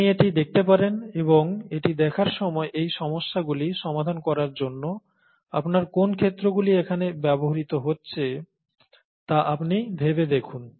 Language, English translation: Bengali, So you may want to watch this, and while you are watching this, think of what all fields of yours are being used here to solve these problems